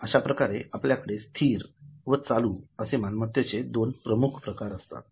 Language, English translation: Marathi, So, we have got two major categories, fixed assets and current assets